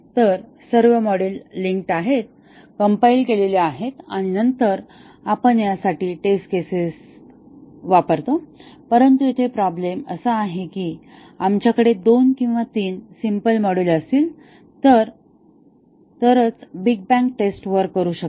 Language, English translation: Marathi, So, all the modules are linked, compiled and then, we run the test cases for this, but the problem here is that the big bang testing can work only if we have two or three simple modules